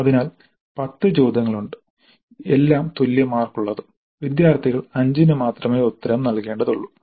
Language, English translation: Malayalam, The type 1 there are 8 questions, all questions carry equal marks, students are required to answer 5 full questions